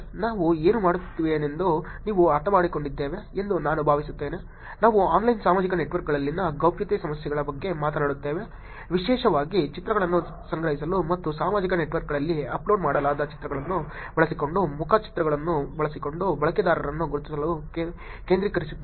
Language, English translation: Kannada, I hope you understood what we were talking about, we just talking about the Privacy Issues in Online Social Networks particularly focused on collecting images and identifying users using the face, pictures, using the images that are uploaded on social networks